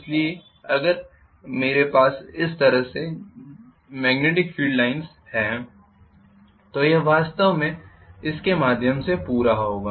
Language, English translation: Hindi, So if I have a magnetic field line like this it will actually complete part through this